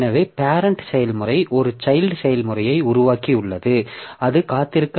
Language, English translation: Tamil, So, parent process has created a child process and it was not, it is not waiting